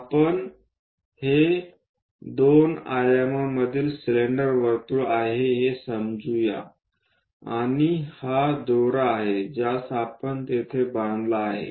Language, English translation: Marathi, Let us consider this is the cylinder circle in two dimensions and this is the rope which perhaps we might have tied it there